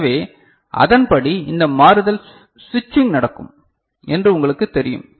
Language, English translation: Tamil, So, accordingly you know this switching will take place right